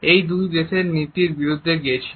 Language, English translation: Bengali, It went against the policies of both countries